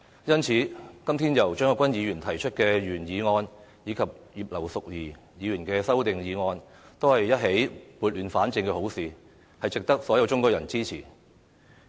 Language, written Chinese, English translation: Cantonese, 因此，今天由張國鈞議員提出的原議案和葉劉淑儀議員提出的修正案，正是撥亂反正的好事，值得所有中國人支持。, For this reason Mr CHEUNG Kwok - kwans original motion and Mrs Regina IPs amendment serve to right the wrong and should be supported by all Chinese people